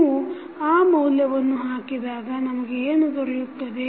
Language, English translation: Kannada, So, when you put that value what we get